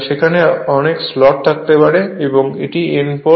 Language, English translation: Bengali, There may be many slots are there and this is your N pole